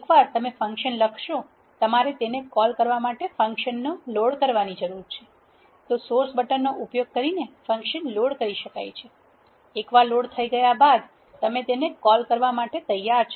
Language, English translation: Gujarati, Once you will write the function you need to load the function to call it loading can be done using the source button, once you source it you are ready to call a function